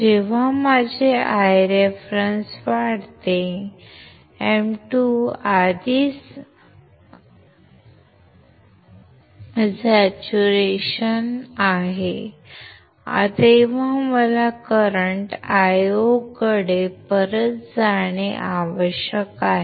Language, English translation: Marathi, When my I reference increases my M 2 is already in saturation right, I need to go back towards the current Io